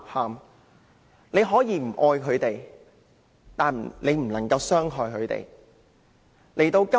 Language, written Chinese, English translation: Cantonese, 大家可以不愛牠們，但不能傷害牠們。, People may dislike animals but they should never harm them